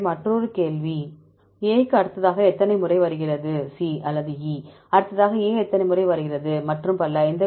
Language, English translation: Tamil, So, another question is how many times A comes next to A, how many times A comes next to C or E and so on